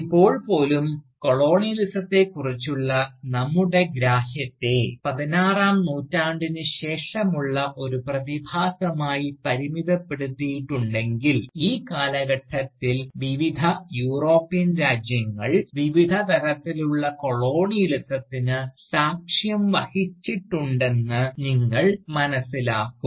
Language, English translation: Malayalam, Now even, if we chronologically limit our understanding of Colonialism, to being a post 16th century phenomenon, you will realise that, this period, has witnessed different kinds of Colonialism, by different European countries